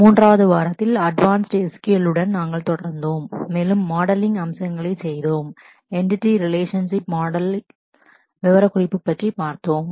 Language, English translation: Tamil, In week 3, we continued with the advanced SQL and did the aspects of modeling from specification in terms of Entity Relationship Model